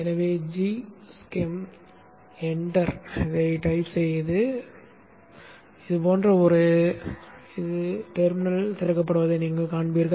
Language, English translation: Tamil, So let me type G Shem, enter, and you will see a G Y something like this opens up